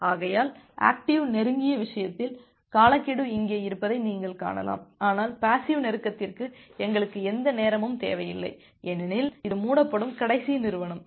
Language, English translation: Tamil, So, you can see that the timeout is here in case of the active close, but for passive close we do not require any timeout because, that is the last entity which is going to close